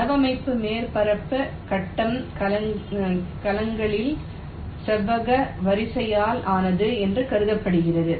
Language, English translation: Tamil, it says that the layout surface is assumed to be made up of a rectangular array of grid cells